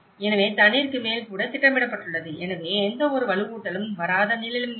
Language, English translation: Tamil, So, even projected over the water so there is hardly is no plot of land where no reinforcement has come